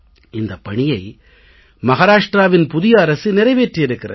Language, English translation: Tamil, Today I especially want to congratulate the Maharashtra government